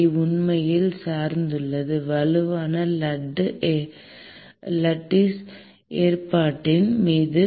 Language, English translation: Tamil, kl actually depends on strongly on the lattice arrangement